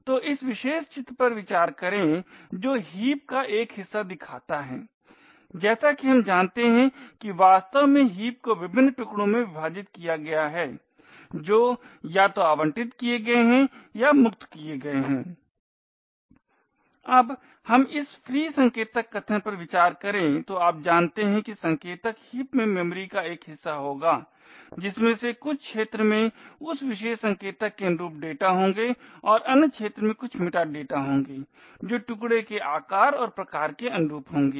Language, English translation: Hindi, So consider this particular figure which shows a part of the heap as we know the heap is actually divided into various chunks which are either allocated or freed now let us consider this free pointer statement, so as you know pointer would be a chunk of memory present in the heap out of which some areas would be the data corresponding to that particular pointer and the other areas would be some metadata that corresponding to size and type of a chunk and so on